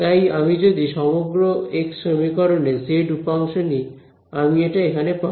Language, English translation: Bengali, So, if I take the z component of this entire x equation that is what I will get over here